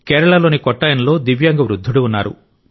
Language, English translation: Telugu, In Kottayam of Kerala there is an elderly divyang, N